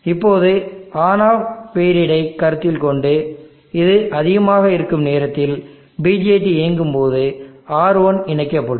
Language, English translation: Tamil, Now let me consider this on off periods during the time when this is high the BJT is on R1 gets connected